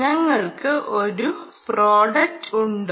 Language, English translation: Malayalam, do we have a product